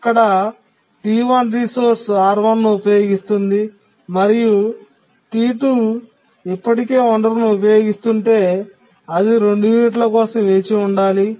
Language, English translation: Telugu, T1 uses the resource R1 and if T2 is already using the resource it would have to wait for two units